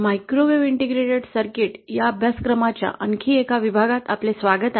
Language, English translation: Marathi, welcome to another module of this course ‘Microwave Integrated Circuit’